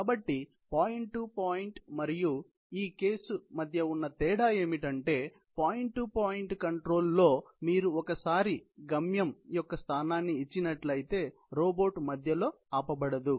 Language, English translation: Telugu, So, the only difference between the point to point and this case is that in a point to point control, you can once given the location of the destination, the robot cannot be stopped in between